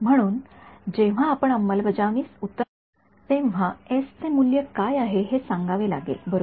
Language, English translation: Marathi, So, when we come down to implementing we have to say what is the value of that s right